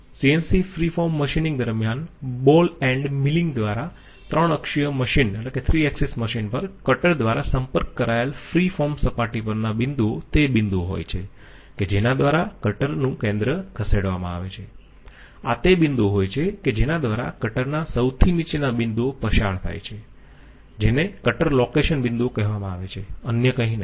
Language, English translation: Gujarati, During CNC free form machining by ball end milling on a 3 axis machine, the points on the free form surface contacted by the cutter are the points through which the centre of the cutter is moved, are the points through which the bottommost point of the cutter is moved, are called the cutter location points, none of the others